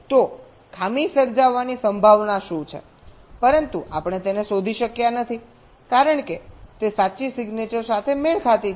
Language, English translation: Gujarati, so what is the probability that a fault has occurred but we are not able to detect it because it has matched to the correct signature